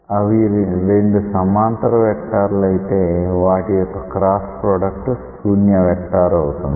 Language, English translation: Telugu, If these two are parallel vectors their cross product should be a null vector